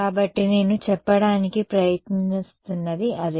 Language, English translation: Telugu, So, that is what I am trying to say